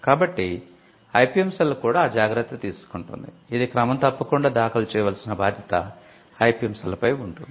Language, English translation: Telugu, So, the IPM cell also takes care of that, it has to be regularly filed, so that responsibility falls on the IPM cell as well